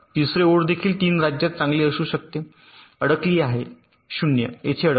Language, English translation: Marathi, third line can also be in three states, good, stuck at zero, stuck at one